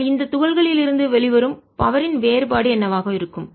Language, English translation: Tamil, what will be the difference in the power which is coming out of these particles